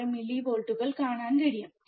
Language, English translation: Malayalam, 6 millivolts, right